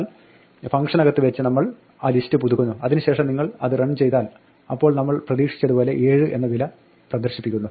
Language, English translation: Malayalam, But we update that list inside the function and then if you run it then it does print the value 7 as we expect